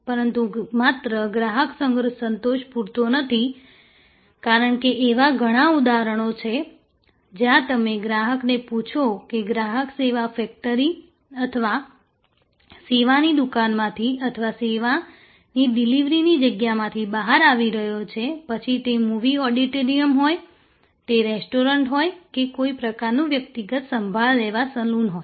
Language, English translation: Gujarati, But, just customer satisfaction enough is not enough, because there are many instances, where if you ask the customer as the customer is coming out of the service factory or the service shop or the place of delivery of service, be it a movie auditorium, be it a restaurant, be it a some kind of personnel care service saloon